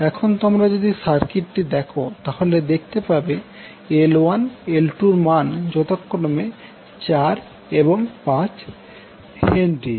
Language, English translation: Bengali, Now if you see this particular circuit the L 1 L 2 are given as H 4 and H 4, 5 and 4 Henry